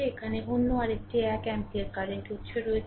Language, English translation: Bengali, So, this is 12 ampere current right